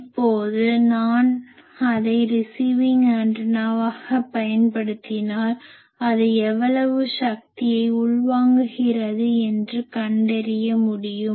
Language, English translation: Tamil, Now, you know that if I use it as receiving antenna, how much power it will be able to find out